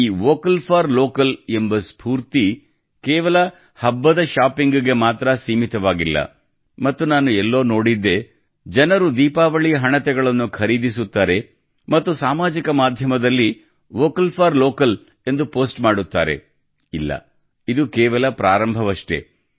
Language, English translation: Kannada, But you will have to focus on one more thing, this spirit for Vocal for Local, is not limited only to festival shopping and somewhere I have seen, people buy Diwali diyas and then post 'Vocal for Local' on social media No… not at all, this is just the beginning